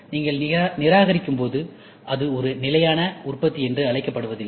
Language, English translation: Tamil, When you discard, it is not called as a sustainable manufacturing